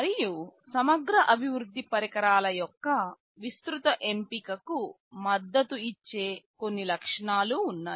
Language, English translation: Telugu, And, there are some features that supports a wide choice of integrated development environments